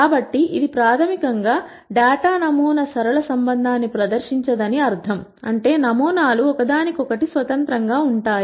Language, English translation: Telugu, So, this, this basically means that the data sampling does not present a linear relationship; that is the samples are independent of each other